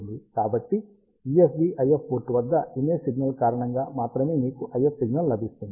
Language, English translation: Telugu, So, at USB IF port, you will get an IF signal only because of the image signal